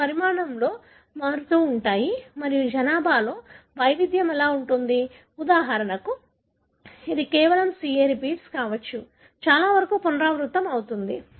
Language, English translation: Telugu, They vary in size and, and how the variation in the population, for example it could have just a CA repeat, repeated many a times